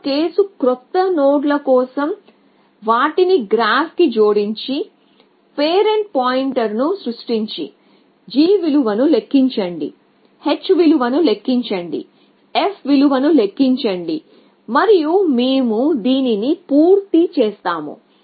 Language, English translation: Telugu, One case for new nodes, we simply add them to the graph, and create the parent pointer, compute the g value, compute the h value, compute the f value and we are done